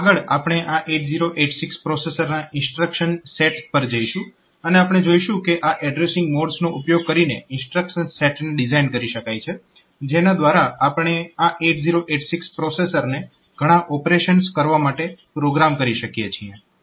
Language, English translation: Gujarati, 8086 processor and we will see that using this instructions the addressing modes this instruction sets can be designed by which we can program this 8086 processor to do several operations